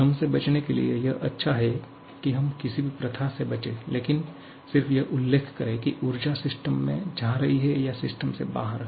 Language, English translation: Hindi, If you want to avoid any kind of confusion, then sometimes it is better to avoid any convention and just mention whether energy is going into the system or out of the system